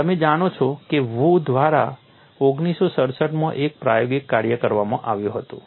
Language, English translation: Gujarati, You know there was an experimental work by Wu in 1967